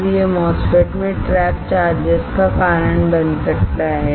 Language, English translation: Hindi, And this will or this may cause trapped charges in MOSFET